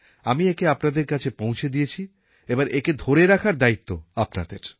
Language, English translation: Bengali, I have brought them to you, now it is your job to keep them going